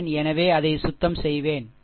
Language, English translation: Tamil, So, cleaning it, right